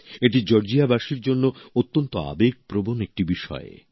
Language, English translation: Bengali, This is an extremely emotional topic for the people of Georgia